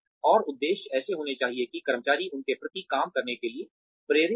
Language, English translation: Hindi, And, objectives should be such that, the employee is motivated to work towards them